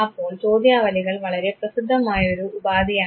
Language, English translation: Malayalam, So, questionnaire again is a very popular tool